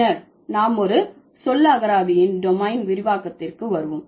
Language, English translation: Tamil, Then we are coming to the domain extension of a vocabulary